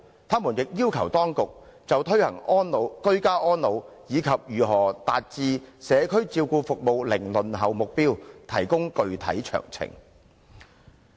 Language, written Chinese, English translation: Cantonese, 他們亦要求當局，就推行居家安老，以及如何達致社區照顧服務零輪候目標，提供具體詳情。, They also requested the Administration to provide specific details for implementing ageing - in - place and for achieving the target of zero waiting time for community care services for the elderly